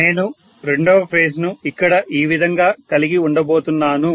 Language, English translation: Telugu, So, I am going to how the second phase here like this